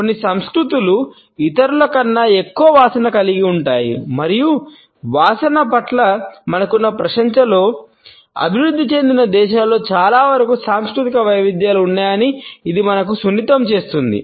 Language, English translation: Telugu, Some cultures are more smell conscious than others and it sensitizes us to the fact that in our appreciation of smells also, cultural variations do exist in most of the developed countries